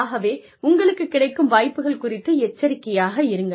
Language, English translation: Tamil, So, be aware of the opportunities, available to you